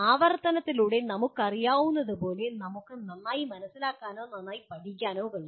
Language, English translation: Malayalam, As we know through repetition we can understand or learn better